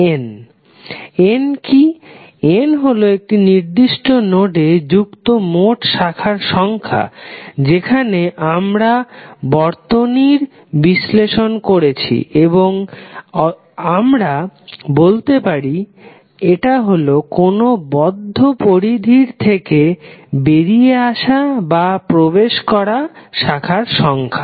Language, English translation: Bengali, What is N, N is the total number of branches connected to that particular node where we are analysing the circuit or you can say that it is total number of branches coming in or out from a particular closed boundary